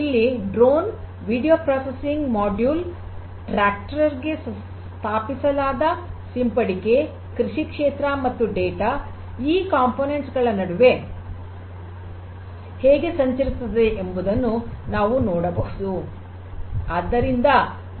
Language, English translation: Kannada, So, drones, video processing module, tractor with sprayer which can be actuated, and agricultural field and the overall flow of data between these different components are shown over here